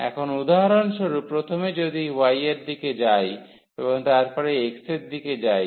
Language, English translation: Bengali, So, we will take now for example, in the direction of y first and then in the direction of x